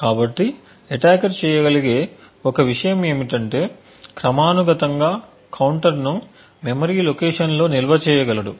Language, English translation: Telugu, So, one thing that the attacker could do is that periodically the attacker could actually store the counter in a memory location